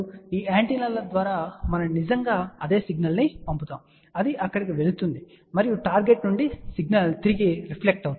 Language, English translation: Telugu, Through these antennas we actually send the same signal, it goes there and from the target the signal reflects back